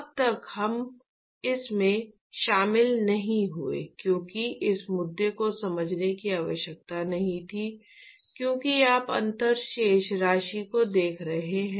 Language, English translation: Hindi, So, far we did not get into this because it was not required to understand this this issue because you are looking at differential balances